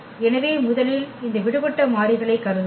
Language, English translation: Tamil, So, first we will assume these free variables